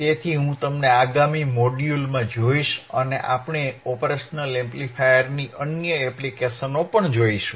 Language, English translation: Gujarati, So, I will see you in the next module and we will see other applications of the operational amplifier